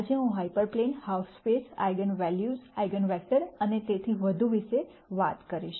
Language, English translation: Gujarati, Today I will talk about hyper planes, half spaces and eigenvalues, eigenvectors and so on